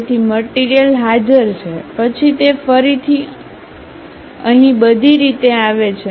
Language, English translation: Gujarati, So, material is present, then again it comes all the way here